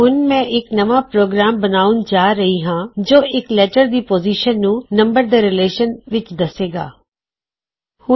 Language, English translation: Punjabi, Now Im going to create a new program to find out the position of a letter in relation to its number